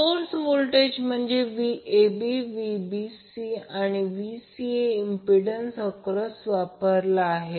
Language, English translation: Marathi, So the source voltage that is Vab and Vbc and Vca will be applying across the load impedances also